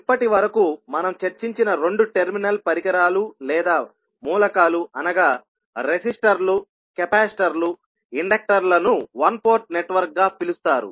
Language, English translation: Telugu, Now, two terminal devices or elements which we discussed till now such as resistors, capacitors, inductors are called as a one port network